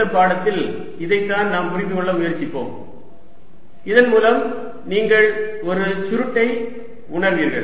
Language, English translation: Tamil, this is what we will try to understand so that you had a feeling for a curl